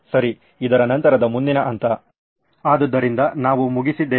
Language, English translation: Kannada, Okay, next step after this, so we are done